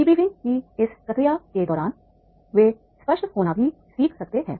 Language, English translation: Hindi, During this process of debriefing, they may also learn to be explicit